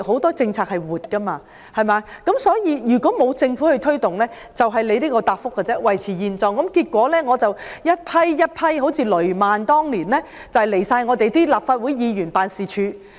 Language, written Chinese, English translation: Cantonese, 政策是活的，但如果沒有政府幫忙推動，便只會像局長的答覆般，一切維持現狀，結果一批又一批人，像當年的雷曼苦主到立法會議員辦事處申訴。, Policies are flexible but without the Governments help in promotion no changes can be made as stated by the Secretary in his reply . Consequently batches of franchisees like the victims in the Lehman Brothers Incident years ago have to lodge complaints at Offices of Legislative Council Members